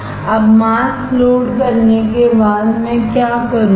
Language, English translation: Hindi, Now after loading the mask what I will do